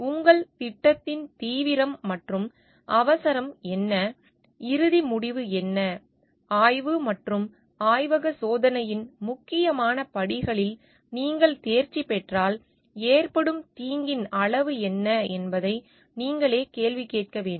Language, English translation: Tamil, You have to question yourself for what is the seriousness and urgency of your project and what is the ultimate like outcome it may be there, what is the degree of harm that may be done if you are by passing the important steps of exploration and laboratory testing